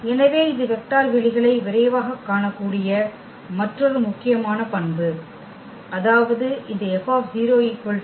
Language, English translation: Tamil, So, that is another important property which we can quickly look for the vector spaces; that means, this F 0 must be equal to 0